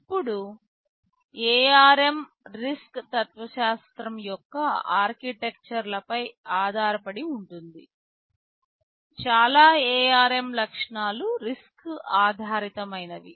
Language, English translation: Telugu, Now, ARM is based on the RISC philosophy of architectures, most of the ARM features are RISC based